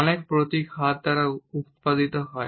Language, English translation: Bengali, Many emblems are produced by hands